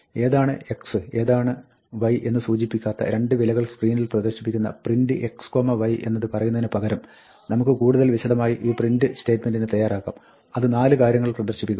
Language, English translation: Malayalam, Instead of saying, just print x comma y, which produces 2 values on the screen, with no indication as to which is x and which is y, we could have this more elaborate print statement, which prints 4 things